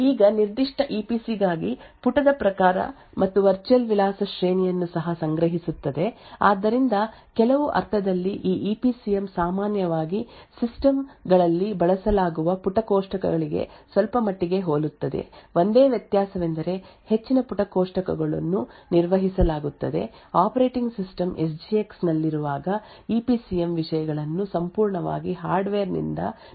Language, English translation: Kannada, It also stores the type of page and the virtual address range for that particular EPC so in some sense this EPCM is somewhat similar to the page tables which are generally used in systems the only difference is that the most of the page tables are managed by the operating system while with the SGX the EPCM contents is completely managed by the hardware so if we actually go back to this slide and see that there is now a conversion from the virtual address space for the enclave to the corresponding physical address space in the PRM